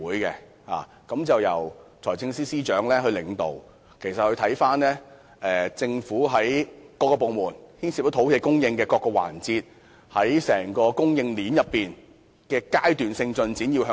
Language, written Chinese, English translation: Cantonese, 督導委員會由財政司司長領導，負責審視政府各部門牽涉土地供應的計劃，並須向財政司司長匯報土地供應的階段性進展。, The Steering Committee chaired by the Financial Secretary is tasked with examining plans that involve land supply in various government departments and is required to report to the Financial Secretary on the progress in land supply at various stages